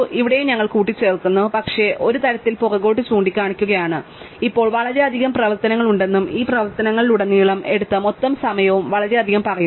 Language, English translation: Malayalam, Here also we are adding, but we are also kind of pointing backwards and saying now there are totally so many operations and the total time taken across all these operations so much